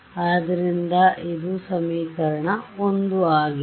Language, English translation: Kannada, So, let us look at the first equation